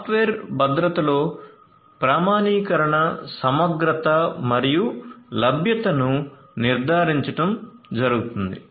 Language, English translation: Telugu, Software security involves ensuring authentication, integrity and availability